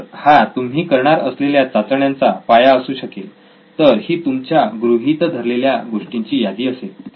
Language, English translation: Marathi, So that makes it the basis on which you can test your ideas, so that is list of assumptions for you